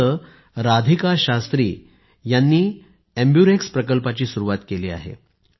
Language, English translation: Marathi, Here Radhika Shastriji has started the AmbuRx Amburex Project